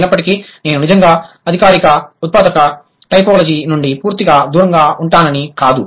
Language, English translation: Telugu, But then that doesn't mean that I'll completely stay away from formal generative typology, not really